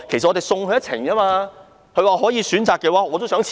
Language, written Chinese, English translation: Cantonese, 她說道，如果可以選擇的話，她也想辭職。, She said she would like to resign if she had a choice